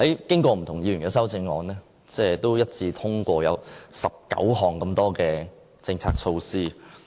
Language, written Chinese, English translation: Cantonese, 經過不同議員的修正案，最後一致通過19項政策措施。, The motion as amended introduces 19 specific measures under the bicycle - friendly policy